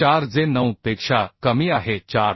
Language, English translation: Marathi, 4 which is less than 9